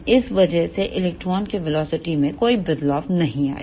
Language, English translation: Hindi, So, because of this there will be no change in the velocity of this electron